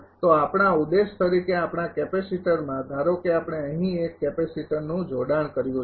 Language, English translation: Gujarati, So, as our objective in our capacitor suppose we have connected a capacitor here right